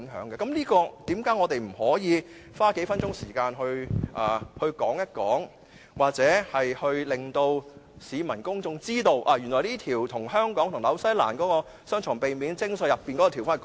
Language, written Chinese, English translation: Cantonese, 為何我們不可以花數分鐘時間討論或令到市民公眾知道，原來會更改香港與新西蘭的避免雙重課稅條款？, Why can we not spend a few minutes to discuss this Order or to let the general public know that the terms on the avoidance of double taxation between Hong Kong and New Zealand will be changed?